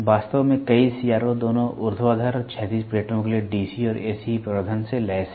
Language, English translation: Hindi, In fact, many CRO’s are equipped with both DC and AC amplification for both vertical and horizontal plates